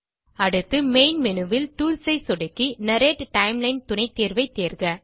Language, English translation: Tamil, Next click on Tools in the Main Menu and choose Narrate Timeline sub option